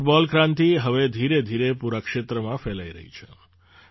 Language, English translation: Gujarati, This football revolution is now slowly spreading in the entire region